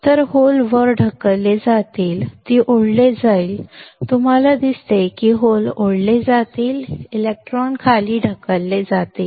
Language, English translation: Marathi, So, holes will be pushed up, it will be pulled up; you see holes will be pulled up, electrons will be pushed down